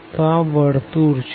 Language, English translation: Gujarati, So, this is the circle